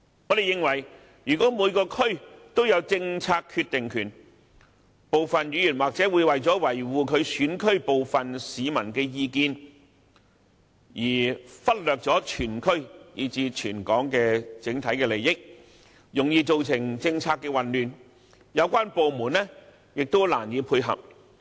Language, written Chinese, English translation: Cantonese, 我們認為如果每個區都有政策決定權，部分議員或許會為了維護其選區部分市民的意見，而忽略全區以至全港的整體利益，容易造成政策混亂，有關部門將難以配合。, The BPA has reservations about this . We consider that if each DC is given powers of making policy decisions some members may uphold the views of some people in their constituency to the neglect of the overall interests of the entire district and even Hong Kong as a whole . Policy confusions may easily arise and coordination among the relevant departments would also be difficult